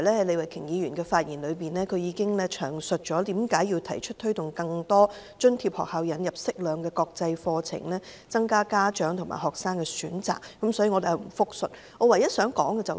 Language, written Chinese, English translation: Cantonese, 李慧琼議員剛才已詳述，為何提出推動更多津貼學校引入適量國際課程，以增加家長和學生的選擇，所以我不複述她的意見。, Ms Starry LEE has given in detail the reasons behind the proposal for more subsidized schools to adopt an appropriate amount of International Baccalaureate IB courses as alternative options for parents and students which I will not repeat here